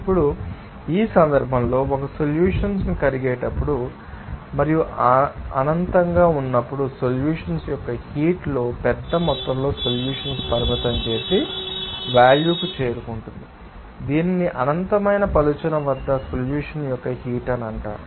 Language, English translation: Telugu, Now, in this case when one mole of solute is dissolving and infinitely, large amount of solvent in the heat of solution will be approaching to a limiting value, which is known as heat of solution at infinite dilution